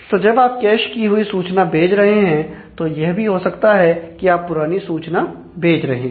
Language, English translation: Hindi, So, if you send the cached information back then, you may be giving a dated information